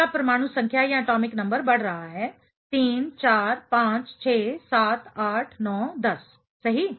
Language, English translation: Hindi, Your atomic number increases 3 4 5 6 7 8 9 10 right of course